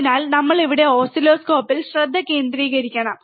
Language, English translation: Malayalam, So, now what we are looking at oscilloscope